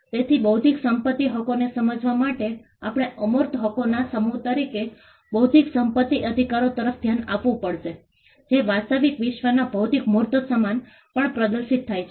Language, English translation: Gujarati, So, to understand into intellectual property rights, we will have to look at intellectual property rights as a set of intangible rights which manifest on real world physical tangible goods